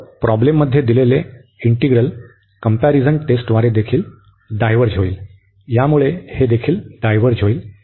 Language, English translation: Marathi, So, the integral given in the problem will also diverge by the comparison test, so this will also diverge